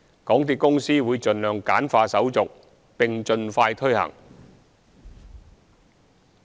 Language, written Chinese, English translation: Cantonese, 港鐵公司會盡量簡化手續，並盡快推行。, The MTRCL will streamline the procedure as far as possible and expedite the launching of the programme